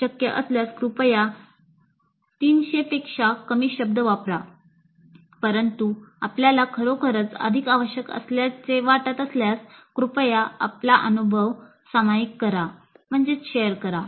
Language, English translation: Marathi, If possible please use less than 300 words but if you really feel that you need more, fine